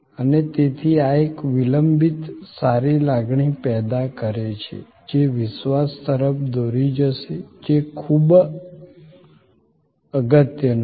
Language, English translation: Gujarati, And therefore, this creating a lingering good feeling that will lead to believe trust is very import